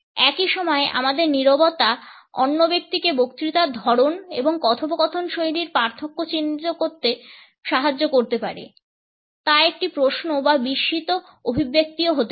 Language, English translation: Bengali, At the same time our silence can help the other person mark the difference in discourse types and conversational styles, whether it is a question or a surprised expression